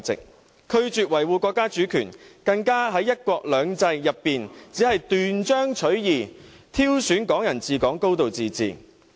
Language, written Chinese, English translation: Cantonese, 他們拒絕維護國家主權，更在"一國兩制"中，只斷章取義挑選"港人治港"、"高度自治"。, They refuse to uphold the countrys sovereignty . Worse still they have taken Hong Kong people ruling Hong Kong and a high degree of autonomy out of the context of one country two systems